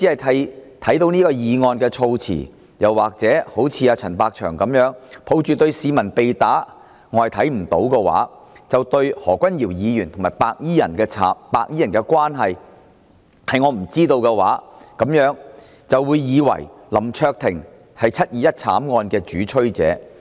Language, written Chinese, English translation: Cantonese, 單看議案措辭，又或一如陳百祥般，抱着對市民被打"是我看不到"、對何君堯議員和白衣人的關係"是我不知道"的態度，那麼大家或會以為林卓廷議員是"七二一"慘案的主催者。, If people look at his motion wording alone if people look at the assault on civilians with Natalis CHANs mindset of I cannot see anything and I do not know the relationship between Dr Junius HO and the white - clad gangsters then they may really think that Mr LAM Cheuk - ting is the culprit of the 21 July tragedy